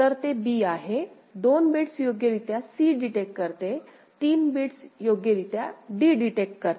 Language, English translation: Marathi, So, that is b; 2 bits detected correctly c; 3 bits detected correctly d ok